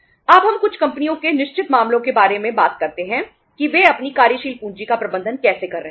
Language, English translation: Hindi, Now we talk about the certain uh say cases of certain companies that how they have been managing their working capital